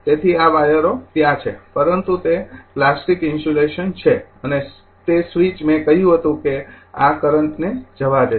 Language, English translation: Gujarati, So, this wire is there, but it is your plastic insulation right and that switch I told you it will allow this allow the current